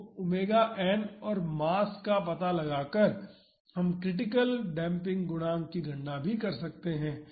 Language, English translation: Hindi, So, knowing omega n and the mass we can calculate the critical damping coefficient